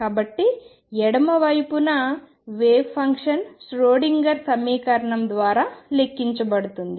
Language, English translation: Telugu, So, on the left hand side the wave function is calculated by the Schrodinger equation V 0